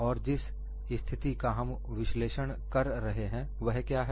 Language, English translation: Hindi, And what is the kind of situation we are analyzing